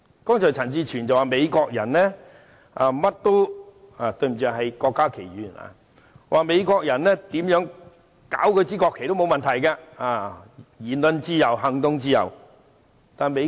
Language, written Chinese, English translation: Cantonese, 剛才陳志全議員——對不起，應該是郭家麒議員——表示，美國人怎樣破壞國旗也沒問題，因為有言論自由和行動自由。, Just now Mr CHAN Chi - chuen―sorry it should be Dr KWOK Ka - ki―said that the Americans could do whatever damage to their national flag due to the freedom of speech and the freedom of action